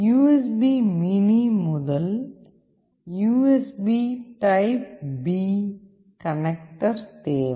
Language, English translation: Tamil, You also required the USB mini to USB typeB connector